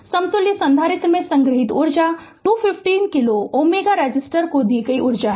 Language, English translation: Hindi, The energy stored in the equivalent capacitor is the energy delivered to the 250 kilo ohm resistor